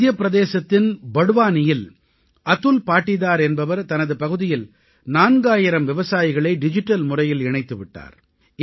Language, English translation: Tamil, Atul Patidar of Barwani in Madhya Pradesh has connected four thousand farmers in his area through the digital medium